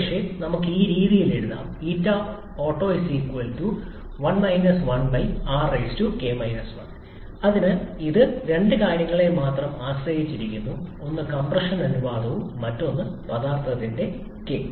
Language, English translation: Malayalam, Maybe we can write this way, so it depends on only two things, one is the compression ratio and other is the k for the substance